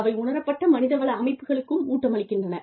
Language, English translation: Tamil, They also feed into the, perceived HR systems